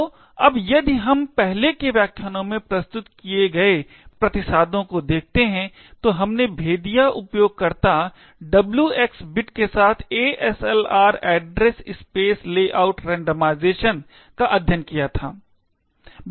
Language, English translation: Hindi, So, now if we look at the countermeasures that has been presented in the earlier lectures, we had actually studied the user canaries, the W xor X bit as well as ASLR Address Space Layout randomization